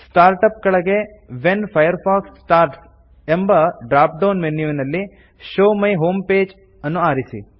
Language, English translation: Kannada, Under Start up, in the When Firefox starts drop down menu, select Show my home page